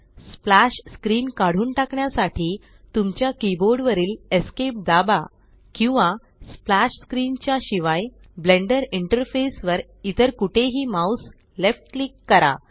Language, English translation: Marathi, To remove the splash screen, press ESC on your keyboard or left click mouse anywhere on the Blender interface other than splash screen